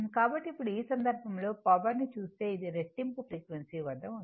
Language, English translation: Telugu, So now, in that case if you look that power, this is at this is at double frequency right